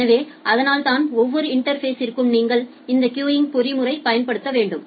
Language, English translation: Tamil, So, that is why for every interface, you need to apply this queuing mechanism